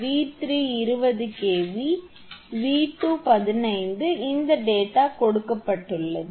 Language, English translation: Tamil, So, V 3 20 kV, V 2 15 kV, these data are given